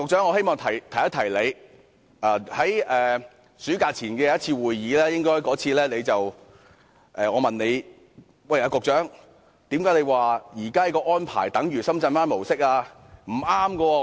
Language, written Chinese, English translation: Cantonese, 我希望提醒陳帆局長，我在暑假前的一次會議曾問他，為甚麼他表示現在的安排等於深圳灣模式。, I wish to remind Secretary Frank CHAN of the question I asked him at a meeting before the summer recess . I asked him why he said that the present arrangement was the same as the arrangement at the Shenzhen Bay Port . I said that his analogy was improper